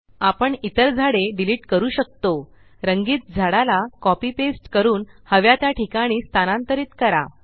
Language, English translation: Marathi, We can also delete the other trees, copy paste the colored tree and move it to the desired location